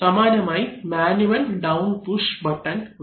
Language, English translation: Malayalam, Similarly we can have a manual down push button